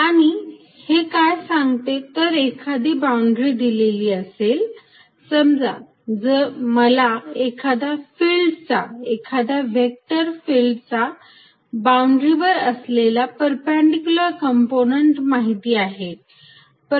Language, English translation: Marathi, And what it states is given a boundary, suppose I know the perpendicular component off a field any vector field at the boundary